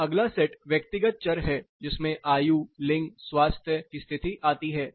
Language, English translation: Hindi, Then the next set is personal variables where age, gender and state of health